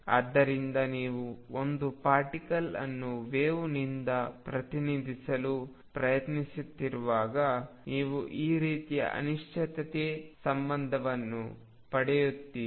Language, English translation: Kannada, So, the moment you try to represent a particle by a wave, you get this sort of uncertainty relationship